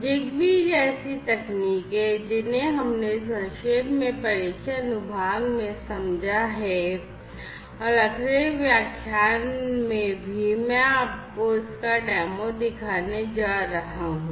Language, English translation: Hindi, Technologies such as ZigBee, which we have briefly understood in the introduction section and also in the next lecture I am going to show you a demo of